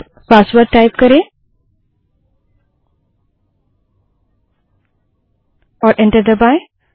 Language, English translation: Hindi, Let us type the password and press enter